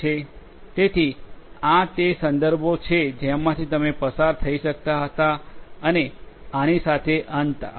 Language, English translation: Gujarati, So, these are the references that you could go through and with this we come to an end